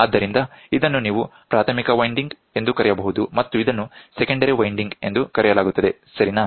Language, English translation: Kannada, So, you can call this as primary winding, this and this are called secondary winding, ok